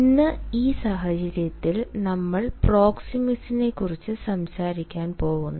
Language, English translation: Malayalam, in this context, today we are going to talk about proxemics